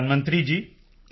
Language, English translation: Punjabi, Prime Minister …